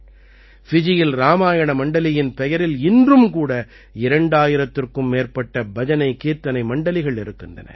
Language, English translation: Tamil, Even today there are more than two thousand BhajanKirtan Mandalis in Fiji by the name of Ramayana Mandali